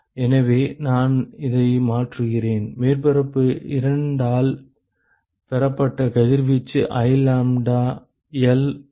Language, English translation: Tamil, So, I substitute this to… Radiation received by surface 2 is I lambdaL by …